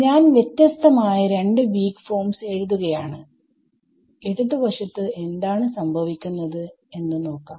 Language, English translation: Malayalam, So, I am writing two different weak forms, what happens to the left hand side